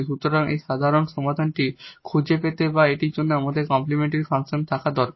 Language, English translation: Bengali, So, to find this general solution or this we need the complementary function and we need a particular solution